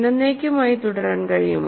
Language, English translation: Malayalam, Is it possible to continue forever